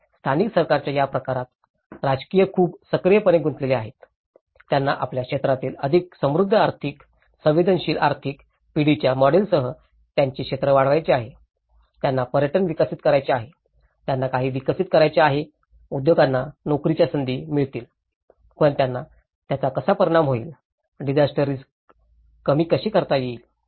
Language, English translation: Marathi, And in this kind of focus of the local government, the politicians are very much actively engaged in, they want to promote their areas with much more rich economic, sensitive economic generation models you know, they want to develop tourism, they want to develop some of the industries to get the job opportunities but how it will have an impact, how it will can reduce the disaster risk reduction